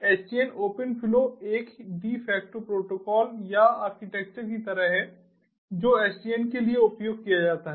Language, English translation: Hindi, open flow is sort of like a de facto protocol or and architecture that is used for sdn